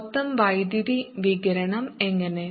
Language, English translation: Malayalam, how about the total power radiated